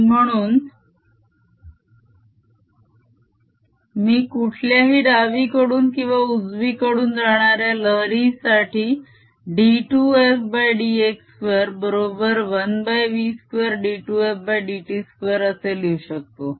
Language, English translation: Marathi, or for the wave which is travelling to the left, d f by d x is equal to one over v d f d t